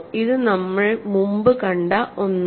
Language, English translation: Malayalam, So, and this is something we have seen before